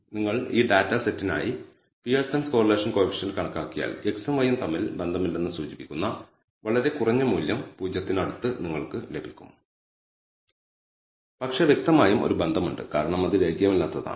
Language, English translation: Malayalam, So, if you apply the Pearson’s correlation coefficient compute the Pearson correlation coefficient for this data set you get a very low value close to 0 indicating as if there is no association between x and y, but clearly there is a relationship because it is non linear